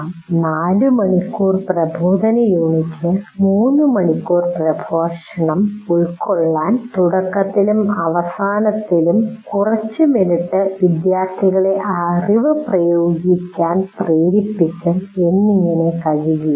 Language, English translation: Malayalam, So what happens is I cannot say in a 4 hour instructional unit, I will lecture for 3 hours and spend some time in the beginning as well as at the end making the students use the knowledge for about 20 minutes